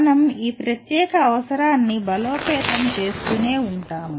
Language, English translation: Telugu, We will continue to reinforce this particular requirement